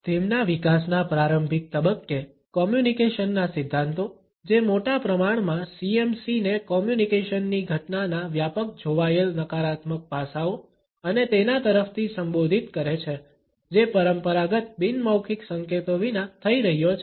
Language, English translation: Gujarati, At an early stage of their development, the communication theories which tend to address CMC by and large looked at the negative aspects of a communication event, which is occurring without traditional nonverbal cues